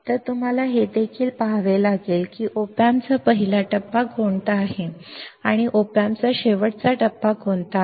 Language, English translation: Marathi, So, also you have to see that what is the first stage of the op amp and what is the last stage of the op amp